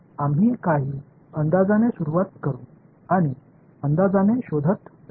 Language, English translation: Marathi, We will start with some guess and keep it finding the guess